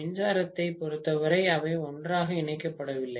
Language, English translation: Tamil, In terms of electrically they are not connected together